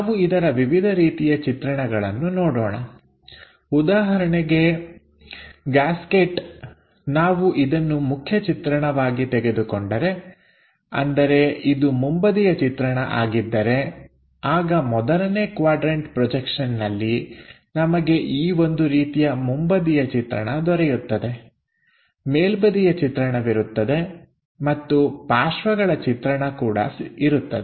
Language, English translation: Kannada, Gasket for example, if we are picking this one as the main view, that means if that is the front view, then we will have in the first quadrant projection something like a front view, there will be a top view and there will be a side view